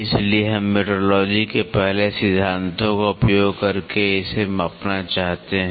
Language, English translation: Hindi, So, we want to measure it by using the first principles of metrology